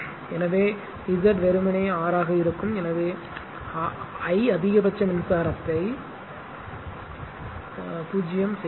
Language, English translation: Tamil, So, Z will be simply R therefore, I 0 the maximum current right